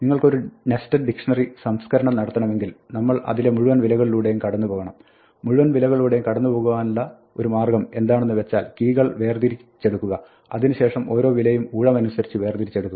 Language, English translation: Malayalam, If you want to process a dictionary then we would need to run through all the values; and one way to run through value all the values is to extract the keys and extract each value by turn